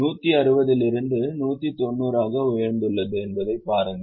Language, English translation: Tamil, There go movement to why, from 160 it has increased to 190